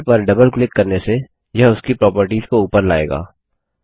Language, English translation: Hindi, Double clicking on the label, brings up its properties